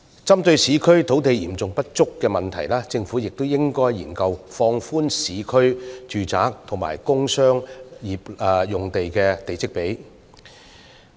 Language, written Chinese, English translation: Cantonese, 針對市區土地嚴重不足的問題，政府亦應研究放寬市區住宅和工商業用地的地積比率。, To address the problem of a serious lack of urban land the Government should also study relaxing the plot ratios for urban residential as well as commercial and industrial sites